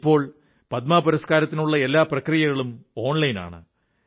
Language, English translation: Malayalam, The entire process of the Padma Awards is now completed online